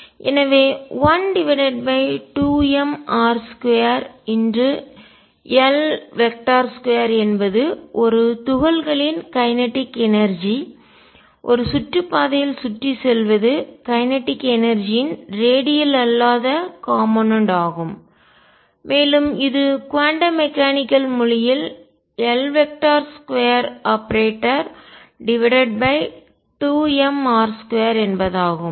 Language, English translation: Tamil, So, L square over 2 m r square is the kinetic energy of a particle going around in an orbit the non radial component of the kinetic energy and that rightly is expressed in the quantum mechanical language as L square operator divided by 2m r square